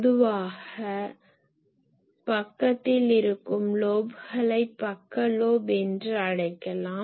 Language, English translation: Tamil, Now, here I should say that , in side lobes generally we call side lobes